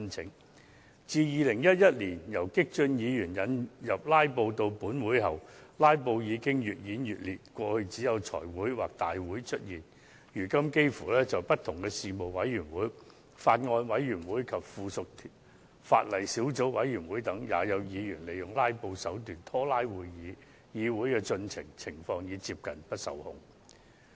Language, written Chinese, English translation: Cantonese, 自激進派議員於2011年把"拉布"的手法帶進本會後，"拉布"的情況越演越烈，過去只會在財委會會議或大會上應用，現在卻幾乎所有事務委員會、法案委員會及附屬法例小組委員會也有議員利用"拉布"手段拖延會議，議會的進程已接近不受控。, Filibustering scheme was first introduced to this Council by those radical Members back then in 2011 which has since been increasingly rife with filibusters . In the past filibustering was only present at Finance Committee meetings or Council meetings but now it is applied by Members in almost all the meetings purely for the purpose of procrastination including meetings of Panels Bills Committees and Subcommittees on Subsidiary Legislation . Consequently the progress of meeting has nearly become out of control